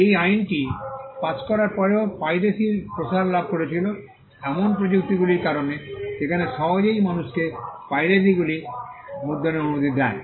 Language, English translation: Bengali, Despite passing this law piracy flourished there were instances because of the technology that allowed people to print easily piracy flourished